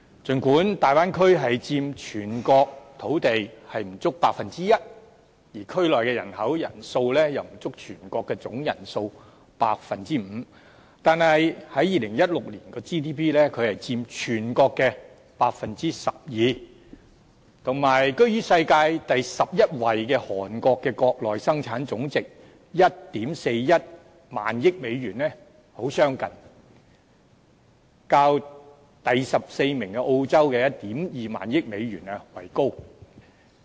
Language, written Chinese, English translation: Cantonese, 儘管大灣區佔全國土地面積不足 1%， 而區內人口數量也不足全國的總人數的 5%， 但在2016年，該地區卻佔全國 GDP 的 12%， 與居於世界第十一位韓國的國內生產總值 14,100 億美元很相近，較第十四位澳洲的 12,000 億美元為高。, Although the area of the Bay Area only accounts for less than 1 % of the land area of the whole country and its population accounts for less than 5 % of the whole country its GDP accounted for 12 % of the national GDP in 2016 a figure very close to the GDP at US1,410 billion of Korea which was ranked the 11 in the world and higher than the GDP at US1,200 billion of Australia ranked the 14 in the world